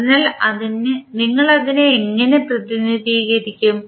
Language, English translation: Malayalam, So, how we will represent